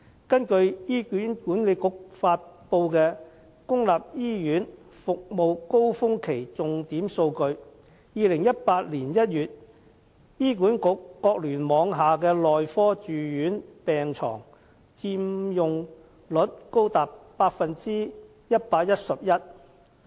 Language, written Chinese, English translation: Cantonese, 根據醫院管理局發布的"公立醫院服務高峰期重點數據"，在2018年1月醫管局各聯網下的內科住院病床佔用率高達 111%。, According to the Public Hospital Key Statistics during Service Demand Surge released by the Hospital Authority HA the medical inpatient bed occupancy rate of all HA hospital clusters came to as high as 111 % in January 2018